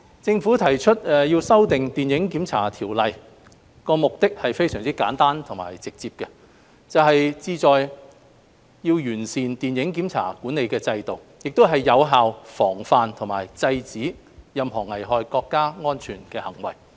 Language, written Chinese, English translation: Cantonese, 政府提出修訂《電影檢查條例》，目的非常簡單直接，就是旨在完善電影檢查規管制度，以及更有效防範和制止任何危害國家安全的行為。, The objective of amending the Film Censorship Ordinance FCO is very simple and direct that is to enhance the film censorship regulatory framework and to prevent and suppress any acts which endanger national security more effectively